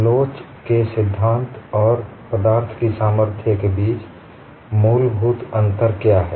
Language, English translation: Hindi, What is the fundamental difference between theory of elasticity and strength of materials